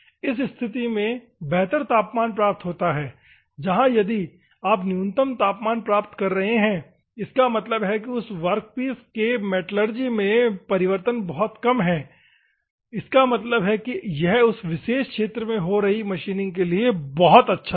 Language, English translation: Hindi, In the better temperature is achieved in this condition, where if you are achieving the minimum temperature; that means, that the metallurgical changes of that workpiece is very less; that means, that it is very good for the proper machining is taking place in that particular region